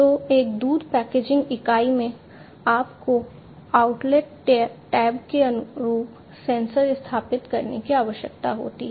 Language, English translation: Hindi, So, in a milk packaging unit you need to install the sensors in line with the outlet tab